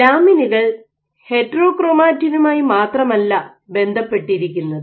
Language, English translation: Malayalam, So, lamins not only bind to the heterochromatin ok